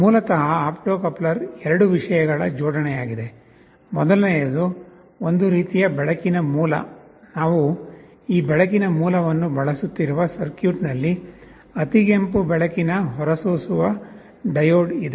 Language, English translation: Kannada, You see basically an opto coupler is the arrangement of two things: one is some kind of a light source, well in the circuit that we are using this light source is an infrared light emitting diode